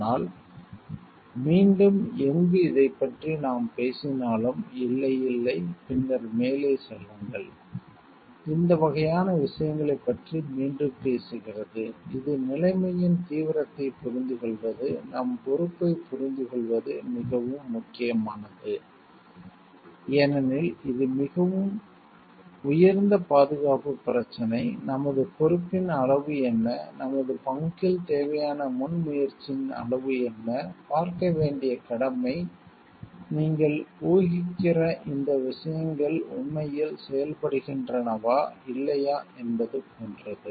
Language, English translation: Tamil, But again wherever we are talking of this no, no and then go ahead and all this type of thing, it again talks of very much important is understanding the gravity of the situation, understanding our responsibility even if something because this is such a high safety issue, what is our degree of responsibility, what is the degree of proactiveness required on a part, the duty required on our part to see; like, whether these things what you are assuming are really working or not